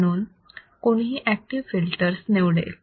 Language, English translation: Marathi, Now, what are the applications of active filters